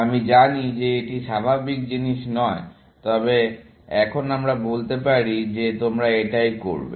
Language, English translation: Bengali, I know that is not the normal thing, but let us say that is what you are doing, essentially